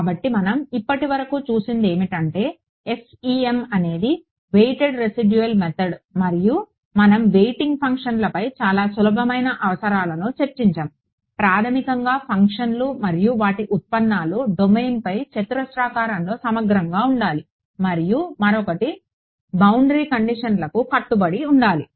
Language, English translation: Telugu, So, what we have seen so far is this idea that FEM is a weighted residual method and we discussed some very simple requirements on the weighting functions; basically that the functions and their derivative should be square integrable over the domain and the other is that they must obey the boundary conditions ok